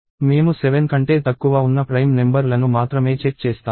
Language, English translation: Telugu, We will only check prime numbers that are less than 7